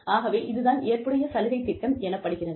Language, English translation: Tamil, So, that is called, the flexible benefits program